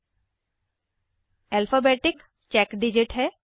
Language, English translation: Hindi, The last character is an alphabetic check digit